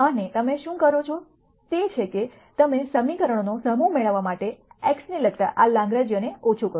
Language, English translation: Gujarati, And what you do is you mini mize this Lagrangian with respect to x to get a set of equations